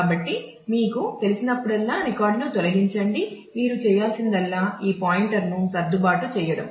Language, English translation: Telugu, So, whenever you have to you know delete a record all that you need to do is adjust this pointer